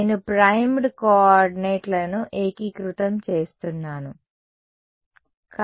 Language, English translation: Telugu, So, I am integrating over the primed coordinates ok